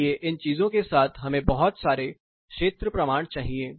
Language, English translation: Hindi, So, with these things we need a lot of field evidence